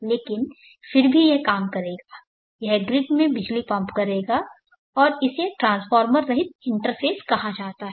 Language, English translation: Hindi, But still it will work it will pump power into the grid, and this is called a transformer less interface